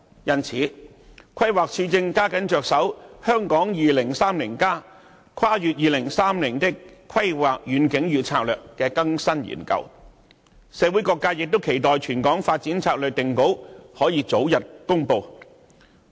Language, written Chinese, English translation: Cantonese, 因此，規劃署正加緊着手《香港 2030+： 跨越2030年的規劃遠景與策略》的更新研究，社會各界亦期待全港發展策略定稿可以早日公布。, Therefore the Planning Department is now stepping up efforts on the update study of the Hong Kong 2030 Towards a Planning Vision and Strategy Transcending 2030 and various sectors in the community are looking forward to the early announcement of the final version of the territorial development strategy